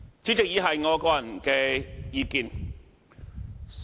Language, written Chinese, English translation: Cantonese, 主席，以下是我個人的意見。, President the following are my personal views